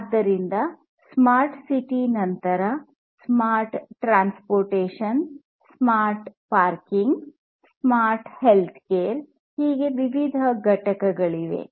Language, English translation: Kannada, So, there are even different components of smart cities like smart transportation, smart parking, smart healthcare and so on and so forth